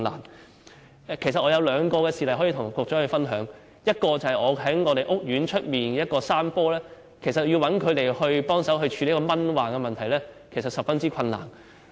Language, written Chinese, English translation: Cantonese, 我想向局長分享兩個事例：第一，在我們屋苑外有一幅山坡，要找人協助處理蚊患問題，其實相當困難。, I wish to share with the Secretary two cases First about this slope outside our housing estate it is really very difficult to find anyone to tackle the mosquito nuisances there